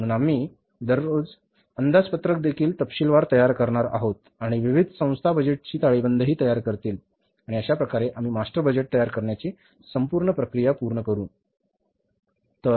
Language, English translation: Marathi, We'll be preparing the budgeted balance sheets also and that way will be able to complete the entire process of preparing the master budgets